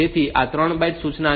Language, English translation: Gujarati, So, this is a 3 byte instruction